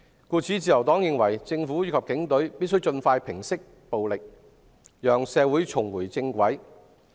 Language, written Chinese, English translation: Cantonese, 故此，自由黨認為，政府及警隊必須盡快平息暴力，讓社會重回正軌。, Therefore the Liberal Party believes that the government and the Police must quell the violence as soon as possible and get our society back on track